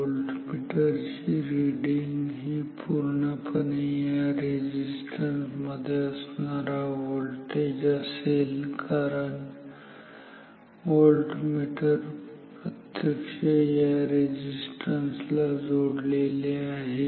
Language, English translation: Marathi, The voltmeter reading is truly the voltage across this resistance because the voltmeter is directly connected across this resistance